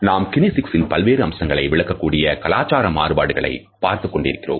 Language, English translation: Tamil, We have been looking at the cultural differences which govern our interpretation of different aspects of kinesics